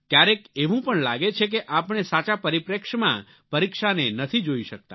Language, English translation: Gujarati, Sometimes it also appears that we are not able to perceive examinations in a proper perspective